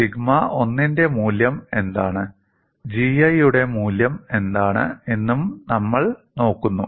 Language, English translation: Malayalam, And we also look at what is the value of sigma 1 what is the value of G 1, and the graph is like this